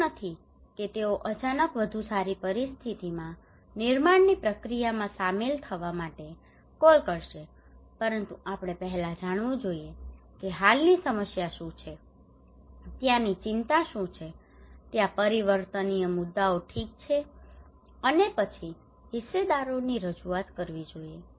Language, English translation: Gujarati, It is not that they will suddenly call for involving in construction process in a build back better situations, but we should first let know that what is the existing problem what are the concerns there what are the prevailing issues there okay and then representation of the stakeholders